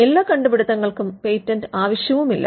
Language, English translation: Malayalam, And not all inventions need patents as well